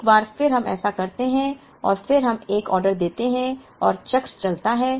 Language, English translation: Hindi, Once again we do this and then we place an order and the cycle goes